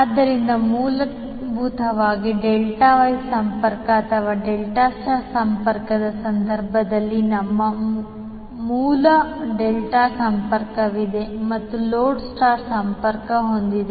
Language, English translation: Kannada, So basically, in case of Delta Wye connection or Delta Star connection, we have source delta connected and the load star connected